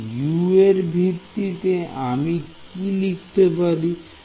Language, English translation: Bengali, So, in terms of U what will I write this as